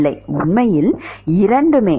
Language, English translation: Tamil, No it is actually both